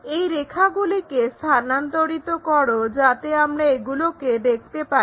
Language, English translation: Bengali, Transfer all these lines, so that we will see, this one